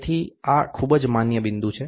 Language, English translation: Gujarati, So, this is the very very valid point